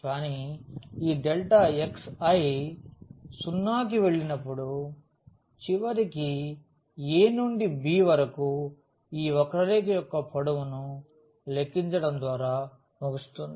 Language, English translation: Telugu, But, when this delta x i will go to 0 eventually we will end up with calculating the length of this curve from a to b